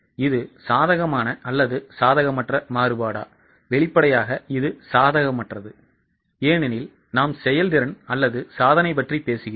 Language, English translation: Tamil, Obviously it is unfavorable because we are talking about performance or achievement